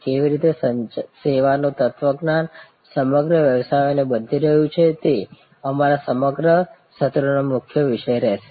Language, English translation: Gujarati, And how the service philosophy is changing businesses all across and that will be a core topic for our entire set of sessions